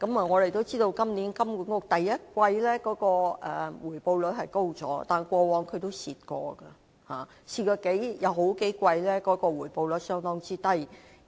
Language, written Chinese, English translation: Cantonese, 我們都知道，金管局今年第一季的回報率提高了，但過往也虧蝕過，曾有數季的回報率相當低。, We all know that the return rate of HKMA for the first quarter of this year has risen yet it has incurred losses in the past and the return rate of several quarters in the past has been rather low